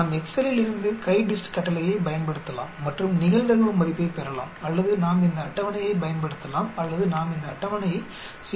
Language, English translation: Tamil, We can use either the command CHI DIST from excel and get the probability value or we can use this table or we can use this table for 0